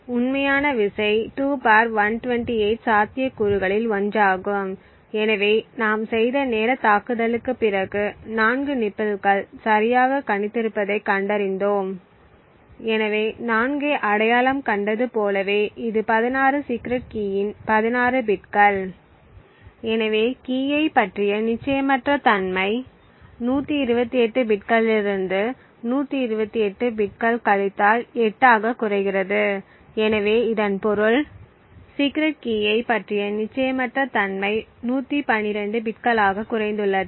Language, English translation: Tamil, The actual key is one among 2 ^ 128 possibilities, so after the timing attack which we have done we found that there are 4 nibbles that we have predicted correctly, so therefore it is like we have identified 4 that is 16 bits of the secret key, so thus the uncertainty about the key reduces from 128 bits to 128 bits minus 8, so this means the uncertainty about the secret key has reduced to 112 bits